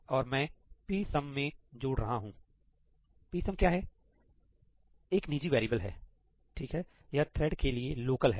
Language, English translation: Hindi, And I am doing the addition into psum; psum is what psum is a private variable, right; it is local to the thread